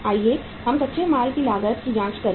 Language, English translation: Hindi, Let us check the raw material cost